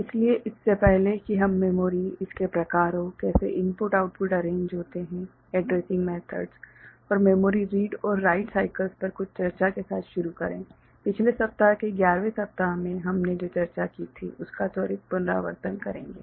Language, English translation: Hindi, its different types, how input output is arranged the addressing methods and some discussion on memory read and write cycles we shall have a quick recap of what we discussed in week 11 that is last week